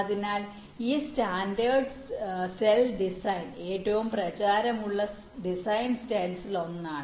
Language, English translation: Malayalam, so this standard cell design is one of the most prevalent design style